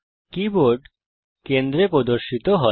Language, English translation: Bengali, The Keyboard is displayed in the centre